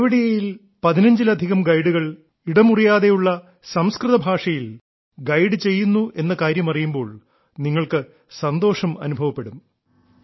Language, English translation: Malayalam, You will be happy to know that there are more than 15 guides in Kevadiya, who guide people in fluent Sanskrit